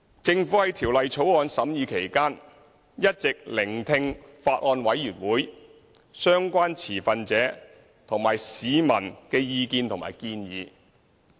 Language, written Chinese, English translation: Cantonese, 政府在《條例草案》審議期間，一直聆聽法案委員會、相關持份者和市民的意見和建議。, During the scrutiny of the Bill the Government has listened to the views and suggestions of the Bills Committee stakeholders and members of the public